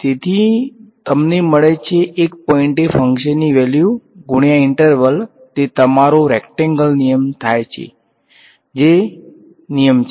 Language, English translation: Gujarati, So, you have got the value of a function at one point multiplied by the interval that is your rectangle rule ok